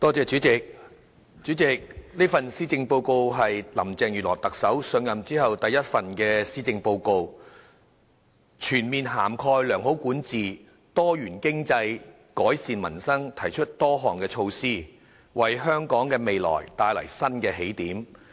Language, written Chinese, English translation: Cantonese, 主席，這是特首林鄭月娥上任後第一份施政報告，全面涵蓋良好管治、多元經濟、改善民生，提出多項措施，為香港的未來帶來新的起點。, President this is Chief Executive Carrie LAMs first Policy Address since she assumed office . The Policy Address proposed various measures on such aspects as proper governance diversified economy and improving peoples livelihood bringing a new starting point to Hong Kongs future